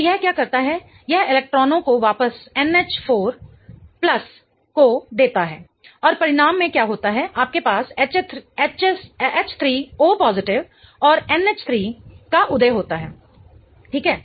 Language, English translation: Hindi, So, what it does is it gives off the electrons back to an H4 plus and in the result what happens is you give rise to H3O plus and H